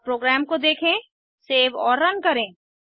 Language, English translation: Hindi, See now Let ussave and run the program